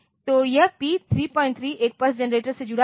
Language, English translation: Hindi, 3 is connected to a pulse generator